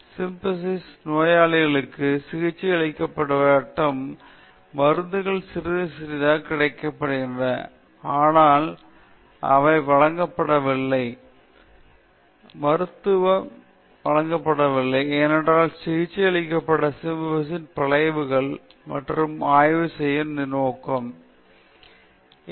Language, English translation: Tamil, And the people who had syphilis were not treated even though medicines became available slightly later, they were never given, they were never administered this medicine because a purpose of the study was to see the effects of untreated syphilis